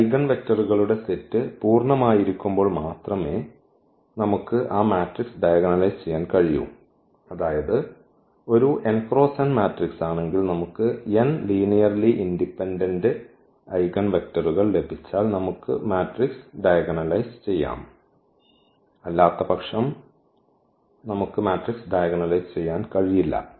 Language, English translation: Malayalam, We can diagonalize only those matrices when the eigen vectors the set of this eigen vectors is full means if it is a n by n matrix then if we get n linearly independent Eigen vectors then we can diagonalize the matrix, otherwise we cannot diagonalize the matrix